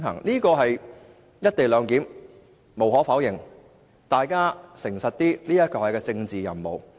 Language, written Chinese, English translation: Cantonese, 大家要誠實一點，"一地兩檢"無可否認是一項政治任務。, We must be honest and admit that the co - location arrangement is a political mission